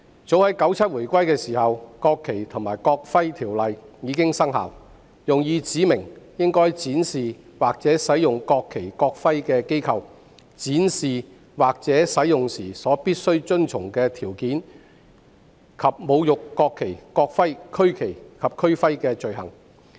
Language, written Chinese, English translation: Cantonese, 早在1997年回歸時，《國旗及國徽條例》已經生效，用以指明應該展示或使用國旗及國徽的機構、展示或使用國旗及國徽時必須遵循的條件，以及侮辱國旗及國徽和區旗及區徽的罪行。, The National Flag and National Emblem Ordinance has come into effect at the time of the reunification in 1997 . It specifies the organizations which must display or use the national flag and the national emblem the conditions under which the national flag and the national emblem must be displayed or used and offences in relation to desecrating the national flag and the national emblem as well as the regional flag and regional emblem